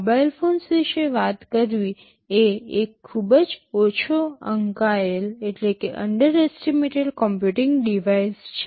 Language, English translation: Gujarati, Talking about mobile phones this is a very underestimated computing device